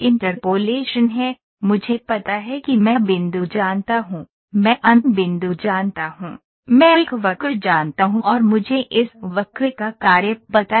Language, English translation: Hindi, Interpolation is, I know start point, I know end point, I know a curve and I know the function of this curve ok